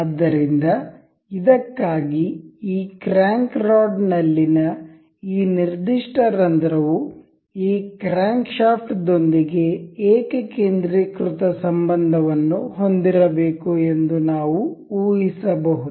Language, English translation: Kannada, So, for this, we can guess that this this particular hole in this crank rod is supposed to be supposed to have a concentric relation with this crankshaft